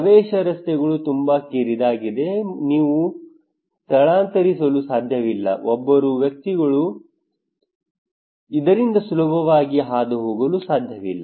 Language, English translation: Kannada, Access roads are very narrow; you cannot evacuate, two people cannot pass easily from this one